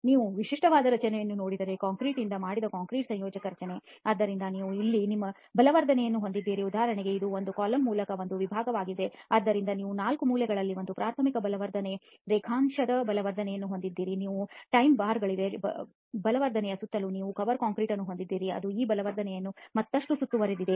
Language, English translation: Kannada, If you take a look at typical structure a concrete compression structure made with concrete, so you have your reinforcement here for example this is a section through a column okay so you have your primary reinforcement longitudinal reinforcement of the four corners, you have the tie bars surrounding the reinforcement, you have the cover concrete which is surrounding this reinforcement further